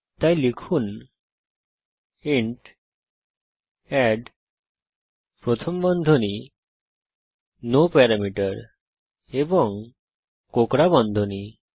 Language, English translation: Bengali, So type int add parentheses no parameter and curly brackets